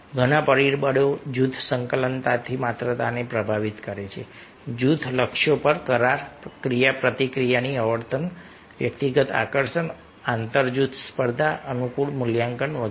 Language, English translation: Gujarati, many factors influence the amount of group cohesiveness: agreement on group goals, frequency of interaction, personal attractiveness, inter group competition, favorable evaluation, etcetera, etcetra